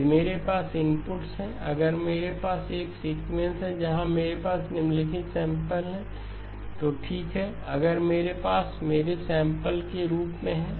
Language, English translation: Hindi, If I have inputs, if I have a sequence where I have the following samples, okay, if I have these as my samples